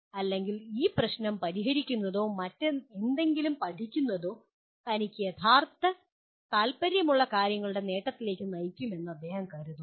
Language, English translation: Malayalam, Or he thinks that solving this problem or learning something will lead to achievement of things that he is truly interested